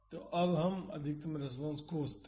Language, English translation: Hindi, So, now, let us find the maximum response